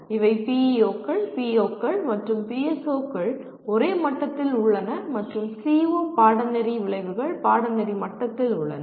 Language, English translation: Tamil, These are PEOs, POs, and PSOs are at the same level and CO, Course Outcomes at the course level